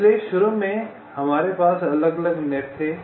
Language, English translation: Hindi, so initially we had the individual nets